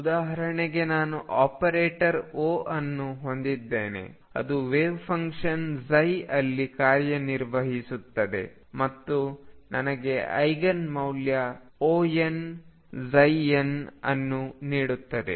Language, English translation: Kannada, So, for example suppose I have an operator O which operates on a wave function psi and gives me the Eigen value O n psi n